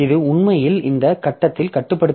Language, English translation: Tamil, So, this is controlled actually at this point